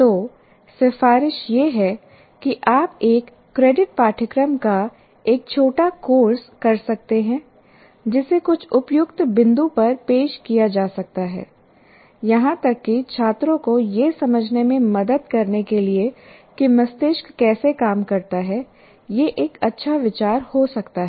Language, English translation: Hindi, So the recommendation is you can have a short course, a one credit course that can be offered at some suitable point even to the students and design for students so that facilitate them to understand how the brain works